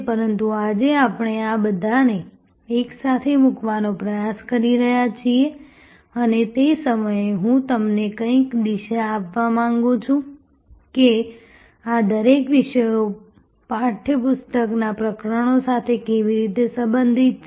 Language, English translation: Gujarati, But, today we are trying to put it all together and I also want to at the same time, give you some direction that how each one of these topics relate to chapters in the text book